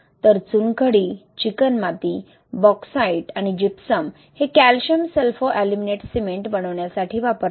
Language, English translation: Marathi, So limestone, clay, bauxite and gypsum is used to make this Calcium Sulfoaluminate cement